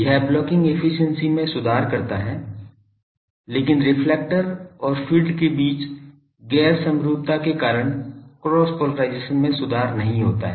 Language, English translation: Hindi, This improves blocking efficiency, but due to non symmetry between reflector and field cross polarisation is not improved for this